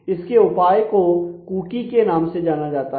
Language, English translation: Hindi, So, the solution for that is something which is known as a cookie